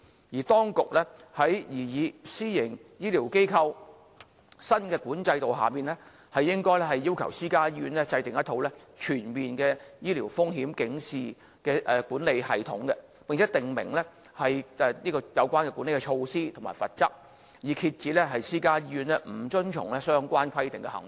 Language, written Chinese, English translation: Cantonese, 而當局在擬議的私營醫療機構新規管制度下，應要求私家醫院制訂一套全面的醫療風險警示的管理系統，並訂明有關的管理措施和罰則，以遏止私家醫院不遵從相關規定的行為。, Under the proposed new regulatory regime for private health care facilities private hospitals should be requested to establish a comprehensive sentinel events management system and the Administration should stipulate the management measures and penalty for non - compliance so as to curb non - compliance of the relevant requirements by private hospitals